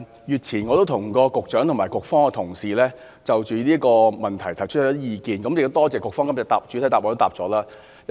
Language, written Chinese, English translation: Cantonese, 月前，我向局長和局方的同事就這項問題提出意見，亦多謝局方在今天的主體答覆中作出回覆。, A month ago I voiced my views on this issue to the Secretary and staff members of the Policy Bureau concerned and I also thank the bureau for giving the main reply today